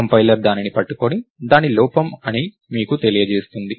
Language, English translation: Telugu, The compiler will catch it and tell you that its an error